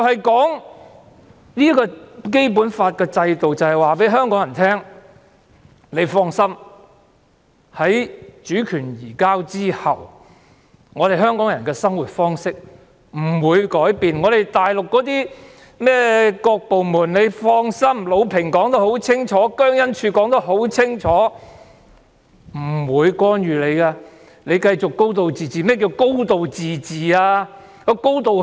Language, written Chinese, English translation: Cantonese, 《基本法》的制度便是要令香港人放心，在主權移交後，香港人的生活方式不會改變；魯平和姜恩柱說得很清楚，內地的各部門等是不會干預香港事務的，香港會繼續"高度自治"。, The systems provided by the Basic Law intend to make people rest assured that after the reunification the ways of life of Hong Kong people will not change . LU Ping and JIANG Enzhu said very clearly that departments and other organizations on the Mainland would not interfere in the affairs of Hong Kong and Hong Kong will continue to enjoy a high degree of autonomy